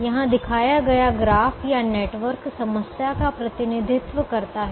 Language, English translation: Hindi, the graph or the network that is shown here represents the problem